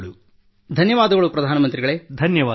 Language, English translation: Kannada, Thank you Prime Minister Ji